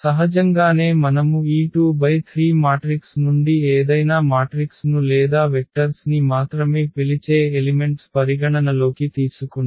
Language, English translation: Telugu, So, naturally they do because if we consider any vector any matrix from this 2 by 3 matrices or the elements we call vectors only